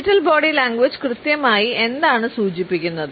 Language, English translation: Malayalam, So, what exactly the phrase digital body language refers to